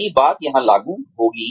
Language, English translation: Hindi, The same thing will apply here